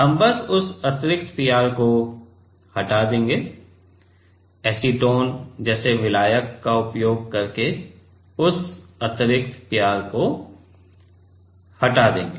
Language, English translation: Hindi, We will just remove that extra PR; will just remove that extra PR using solvent like acetone